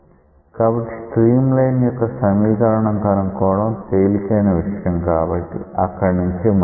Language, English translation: Telugu, So, to find out equation of stream line that is the easiest part let us do it first